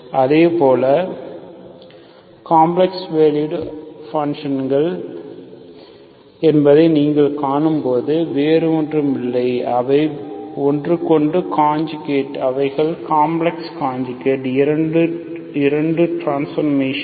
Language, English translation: Tamil, So when you see that they are complex valued functions, there nothing but, they are just conjugate to each other, so there are complex conjugates, the 2 transformations